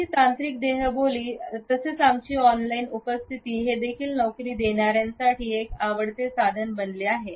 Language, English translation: Marathi, Our digital body language as well as our on line presence has become a favourite tool for recruiters